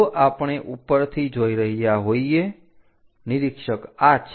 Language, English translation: Gujarati, If we are looking from top, observer is this